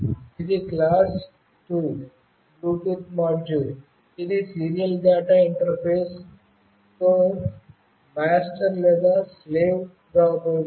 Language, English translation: Telugu, It is a class 2 Bluetooth module with serial data interface that can be used as either master or slave